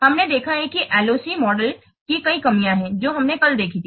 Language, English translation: Hindi, See, we have seen there are many drawbacks of the LOC model that we have seen yesterday